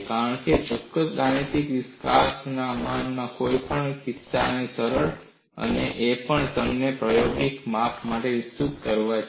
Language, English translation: Gujarati, The reason is certain mathematical developments are easier to do in one of these cases, and also, you could extend it for an experimental measurement